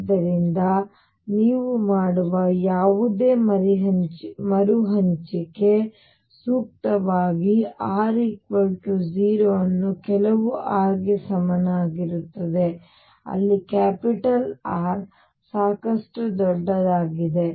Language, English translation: Kannada, So, appropriately whatever rescale you do, now divide r equal to 0 to some r equals R, where R is sufficiently large